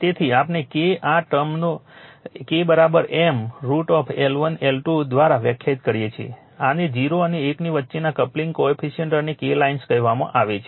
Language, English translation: Gujarati, Therefore we define K is equal to say this term k is equal to M by root over L 1 L 2, this is called coupling coefficient and K line between 0 and one right